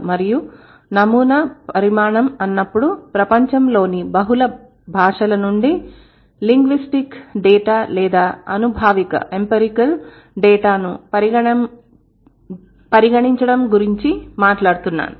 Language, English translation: Telugu, And when it is a sample size, I'm talking about considering linguistic data or empirical data from multiple languages of the world